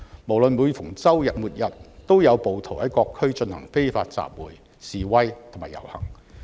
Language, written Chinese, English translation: Cantonese, 每逢周末、周日都有暴徒在各區進行非法集會、示威及遊行。, Unlawful assemblies demonstrations and processions of rioters have been taking place in different districts during weekends